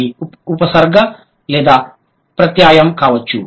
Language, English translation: Telugu, They could be either prefix or suffix